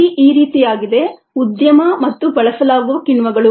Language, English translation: Kannada, the listing is as enzyme industry and the enzymes used